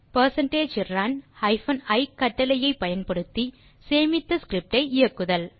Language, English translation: Tamil, then Use percentage run hyphen i command to run the saved script